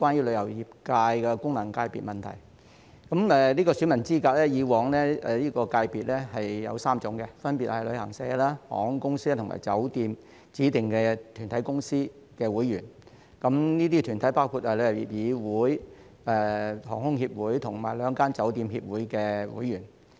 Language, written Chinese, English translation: Cantonese, 旅遊界的選民資格以往分為3類，分別是旅行社、航空業及酒店業指定團體的公司會員，這些團體包括香港旅遊業議會、香港航空公司代表協會和兩個酒店協會的會員。, There were three categories of eligible voters in the tourism FC previously namely corporate members of designated bodies of travel agents the aviation industry and the hotel industry . Such bodies include members of the Travel Industry Council of Hong Kong the Board of Airline Representatives in Hong Kong and two hotel associations